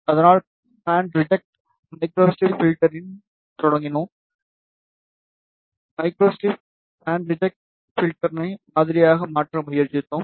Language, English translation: Tamil, So, we started with band reject microstrip filter, and we tried to model microstrip band reject filter